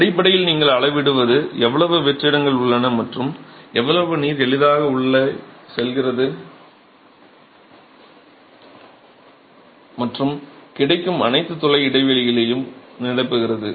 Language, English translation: Tamil, Basically what you are measuring is how much voids are present and how much water is freely going in and filling up all the pore spaces that are available